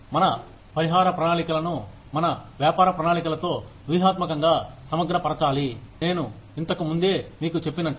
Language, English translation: Telugu, We need to strategically integrate, our compensation plans, with our business plans, like I told you earlier